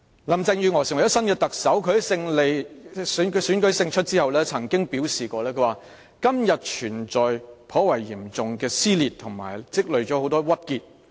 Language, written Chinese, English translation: Cantonese, 林鄭月娥成為新任特首，她在選舉勝出後曾表示："今天存在頗嚴重的撕裂和積累了很多鬱結。, Carrie LAM has taken over as the new Chief Executive . After winning the election she said and I quote [Hong Kong our home] is suffering from quite a serious divisiveness and has accumulated a lot of frustration